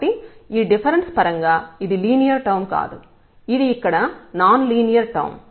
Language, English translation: Telugu, So, then this is not the linear term in terms of this difference it is a non linear term here